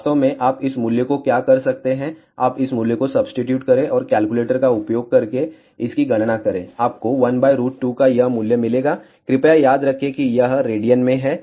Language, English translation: Hindi, In fact, what you can do you substitute this value and calculate this using calculator, you will get this value of 1 by square root 2 please remember this is in radians